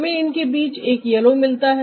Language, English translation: Hindi, we are getting a yellow in between